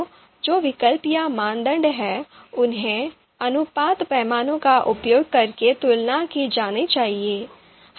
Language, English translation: Hindi, So the the the alternatives or criteria that are there are you know should be compared using ratio scale